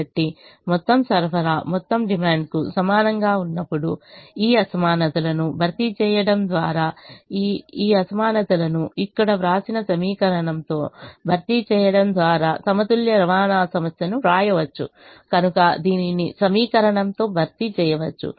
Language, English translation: Telugu, so when the total supply is equal to the total demand, the balanced transportation problem can be written by replacing these inequalities, by replacing these inequalities with the equation that is written here, so replacing it with the equation